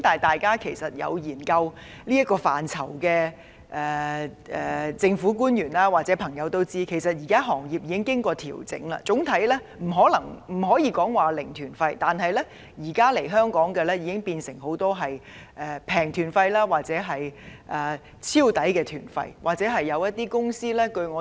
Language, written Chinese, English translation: Cantonese, 但是，對這個範疇了解的政府官員或朋友也會知道，行業現時已作出調整，不再有"零團費"旅行團，但很多來港旅行團都變成"平團費"或"超值團費"旅行團。, However government officials or people familiar with the sector have also been aware that the industry has already made adjustments . While zero - fare tour groups are no longer available many inbound Mainland tour groups have been transformed into low - fare or extra value tour groups